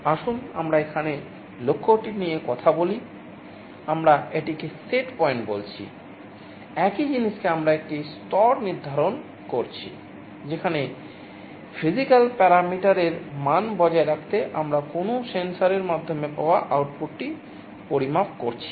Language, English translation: Bengali, Let us talk about the goal here, we are calling it setpoint … same thing we are setting a level, where you want to maintain the value of a physical parameter to and the output through some sensor we are measuring it